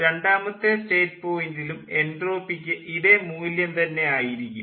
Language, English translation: Malayalam, the same entropy value will be there at state point two